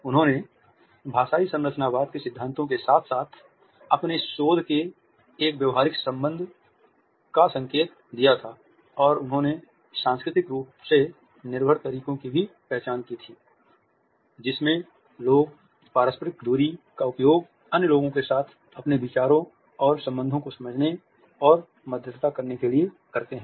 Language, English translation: Hindi, He had also indicated a pragmatic relationship of his research to the principles of linguistic structuralism and he is also identified the culturally dependent ways in which people use interpersonal distances to comprehend and mediate their ideas and associations with other people